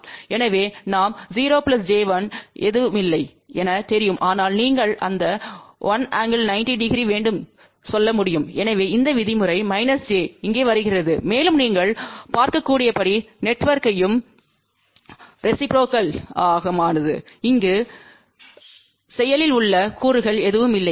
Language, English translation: Tamil, So, we know that 0 plus j 1 has nothing, but you can say that will have an angle of one angle 90 degree, so that is how this term minus j comes over here and since the network is reciprocal as you can see that there are noactive components over here